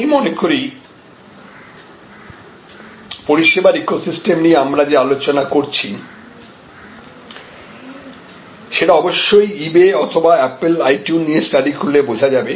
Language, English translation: Bengali, I think what we have been discussing as service ecosystem can be of course, understood by studying eBay or apple itune